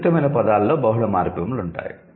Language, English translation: Telugu, Complex words will have multiple morphemes